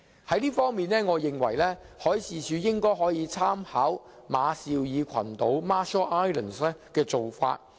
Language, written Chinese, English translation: Cantonese, 在這方面，我認為海事處可以參考馬紹爾群島的做法。, In this connection I think MD can make reference to the Marshall Islands practice